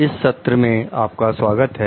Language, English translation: Hindi, Welcome to the session